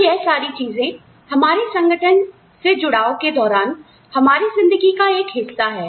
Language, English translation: Hindi, So, all of these things, are a part of our lives, of our association with the organization